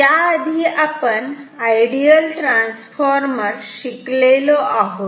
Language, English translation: Marathi, Now, this is an ideal transformer